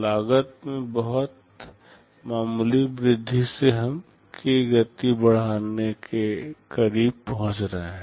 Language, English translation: Hindi, By very nominal increase in cost we are achieving close to k speed up